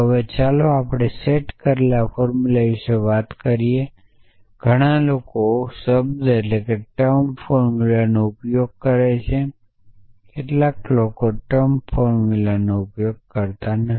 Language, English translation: Gujarati, Now, let us talk about the set up formulas many people use the term formulas some people use the term formula